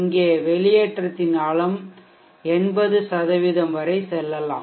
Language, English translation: Tamil, Here the depth of the discharge can go deep as 80%